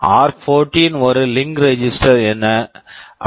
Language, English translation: Tamil, And r14 is a link register